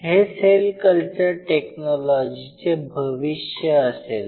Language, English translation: Marathi, So, future cell culture technology will be very dynamic